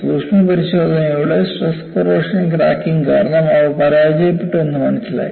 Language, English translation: Malayalam, The postmortem revealed, they failed due to stress corrosion cracking